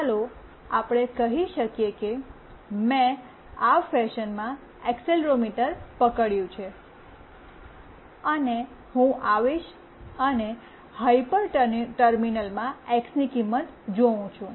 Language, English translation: Gujarati, Let us say I have hold the accelerometer in this fashion and will come and see the value of x in the hyper terminal